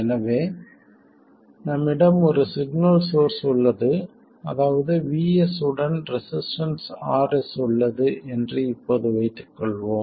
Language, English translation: Tamil, So, we will now assume that we have a signal source VS with a resistance